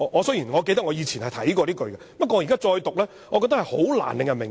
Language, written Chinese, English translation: Cantonese, 雖然我記得我以前曾看過這句，但現在再讀我覺得是難以令人明白。, I remember I have seen this provision before but when I read it again now I find it difficult to understand